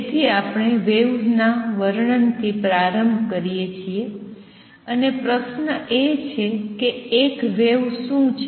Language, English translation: Gujarati, So, we start with description of waves and the question is; what is a wave